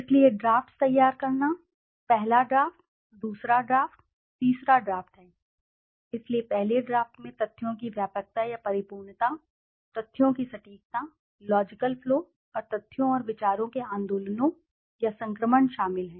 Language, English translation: Hindi, So, preparation of drafts, there are first draft, second draft, third draft, so the first draft includes the comprehensiveness or fullness of the facts, precision or accuracy of the facts, logical flow and the movements or transition of the facts and ideas